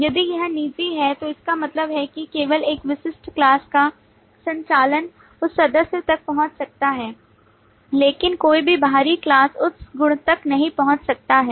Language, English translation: Hindi, If it is private, it means that only the operations of that specific class can access that property, but no external class, no other class can access that property